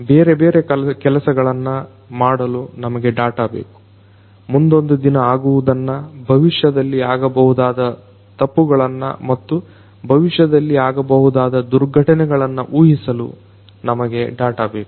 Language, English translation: Kannada, We need data, we need data; we need data for doing different things, we need data for predicting something that might happen in the future, miss happenings in the future events and miss events that are going to occur in the future